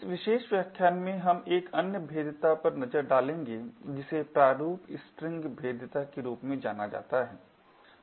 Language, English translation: Hindi, In this particular lecture we will look at another vulnerability which is known as the Format String vulnerability